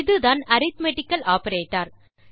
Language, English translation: Tamil, So this again is an arithmetical operator